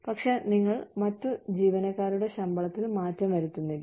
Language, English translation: Malayalam, But, you do not change the salaries, of the other employees